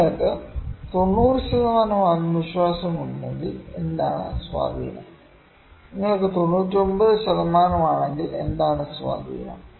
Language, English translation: Malayalam, If you are 90 percent confident what is the influence, if you are 99 percent what is the influence